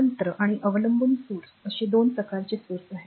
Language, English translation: Marathi, So, there are 2 types of sources independent and dependent sources